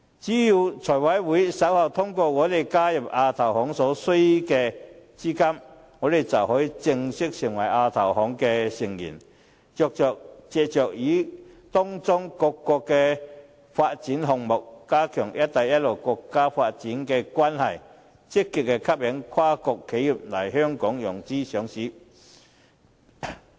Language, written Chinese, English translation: Cantonese, 只要財務委員會稍後通過香港加入亞洲基礎設施投資銀行所需的資金撥款，香港便可以正式成為亞投行的成員，藉着參與各個發展項目，加強"一帶一路"的國家發展關係，積極吸引跨國企業來香港融資上市。, If the Finance Committee approves the funding allocation for Hong Kong to join the Asian Infrastructure Investment Bank AIIB later Hong Kong can formally become a member of AIIB thereby strengthening its development of relationship with the Belt and Road countries through participating in various development projects to actively attract multinational enterprises for financing and listing in Hong Kong